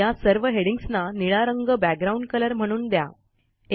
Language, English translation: Marathi, Give the background color to the headings as blue